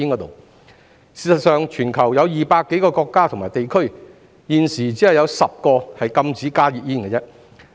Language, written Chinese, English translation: Cantonese, 事實上，全球有200多個國家及地區，現時只有10個禁加熱煙。, As a matter of fact at present out of over 200 countries and regions in the world only 10 have banned HTPs